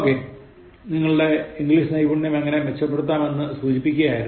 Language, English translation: Malayalam, Okay, just to give you a taste of how you can improve your English Skills